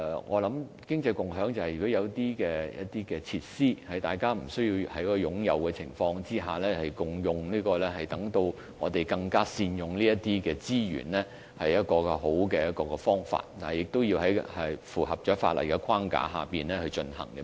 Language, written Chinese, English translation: Cantonese, 我想經濟共享就是，如果有一些設施並非每一個人均須擁有，而是大家可以共用，我們便應更加善用這些資源，這是一個好方法，但需要在符合法例的框架下進行。, In my view the concept of sharing economy is that if certain facilities need not be possessed by each individual and can be shared we should make better use of the resources . This is a good idea but it has to be conducted in compliance with the legal framework